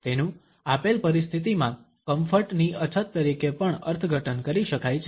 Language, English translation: Gujarati, It can also be interpreted as a lack of comfort in a given situation